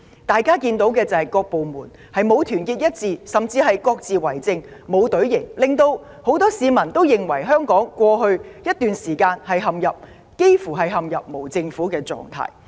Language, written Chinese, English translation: Cantonese, 大家看到的是，各部門並不團結一致，甚至各自為政，展現不出隊形，令很多市民認為香港過去這段日子幾乎陷入無政府狀態。, We can all see that the various government departments are not in solidarity . They have no coordination and do not line up as a team . Many citizens find that Hong Kong has almost been in a state of anarchy in the past months